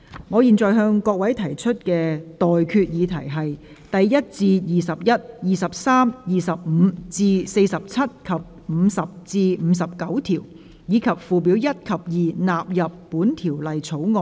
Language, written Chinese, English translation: Cantonese, 我現在向各位提出的待決議題是：第1至21、23、25至47及50至59條，以及附表1及2納入本條例草案。, I now put the question to you and that is That clauses 1 to 21 23 25 to 47 and 50 to 59 and Schedules 1 and 2 stand part of the Bill